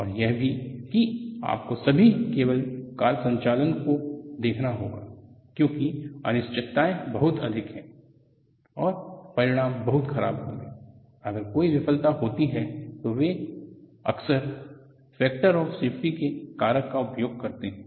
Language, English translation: Hindi, And also, you have to look at for all the cable car operations because the uncertainties are they are very many, and the consequences will be very bad, if there is a failure, they use of factor of safety at the order of ten